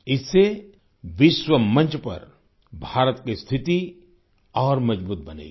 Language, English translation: Hindi, This will further strengthen India's stature on the global stage